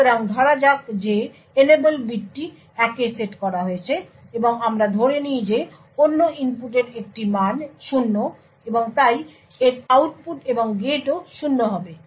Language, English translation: Bengali, So, let us say that the enable bit is set to 1 and let us assume that the other input has a value 0 and therefore the output of this and gate would also, be 0